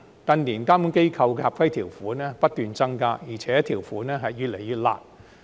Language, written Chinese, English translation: Cantonese, 近年監管機構的合規條款不斷增加，而且條款越來越"辣"。, In recent years the regulatory bodies have increased the number of compliance conditions which are ever increasing in harshness